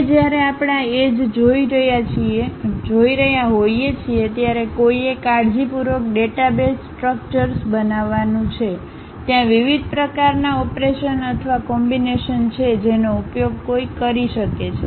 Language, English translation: Gujarati, Now, when we are looking at these edges, vertices careful database structures one has to construct; there are different kind of operations or perhaps combinations one can use